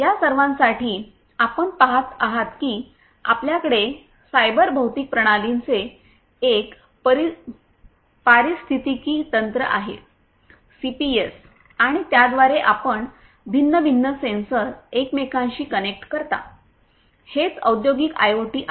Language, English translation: Marathi, For all of these you see what we have is an ecosystem of cyber physical systems CPS and with that you connect different, different sensors interconnected sensors, so that is what the industrial IoT is all about